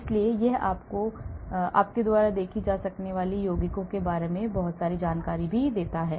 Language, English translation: Hindi, So, lot of information it gives about the compound as you can see